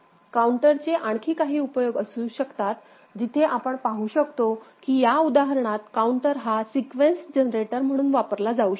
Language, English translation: Marathi, There can be few other uses of counter where we can see that counter can be used for in this example, sequence generator